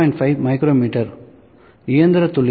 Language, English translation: Tamil, 5 micrometer, machine accuracy is plus minus 2